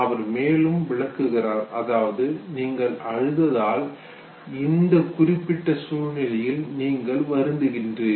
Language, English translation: Tamil, He said that because you cry therefore you feel sorry in a given situation, okay